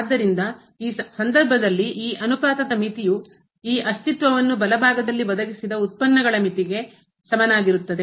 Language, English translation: Kannada, So, in that case the limit of this ratio will be equal to the limit of the derivatives provided this limit on the right hand this exist